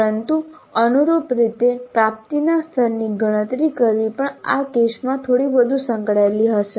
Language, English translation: Gujarati, But correspondingly computing the level of attainment would also be a little bit more involved in this case